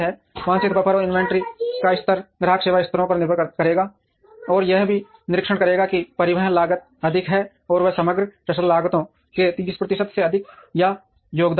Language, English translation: Hindi, Desired buffer and inventory levels will depend on the customer service levels, and also observe the transportation costs are higher and they contribute to more than 30 percent of the overall logistics costs